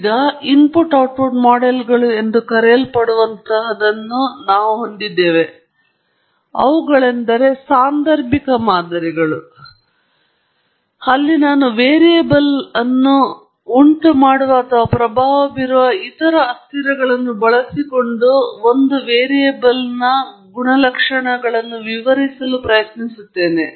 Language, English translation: Kannada, Now, on the contrary, we have what are known as input output models, which are causal models, where I try to explain one variable using other variables that I think are causing or influencing the variable of interest